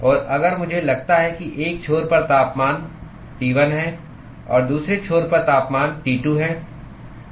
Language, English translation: Hindi, And if I assume that temperature on one end is T1 and the other end is T2